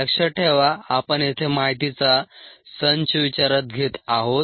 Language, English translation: Marathi, remember, we are dealing with a set of data here